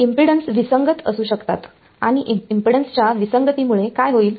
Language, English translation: Marathi, There can be a mismatch of impedance and because of mismatch of impedance what will happen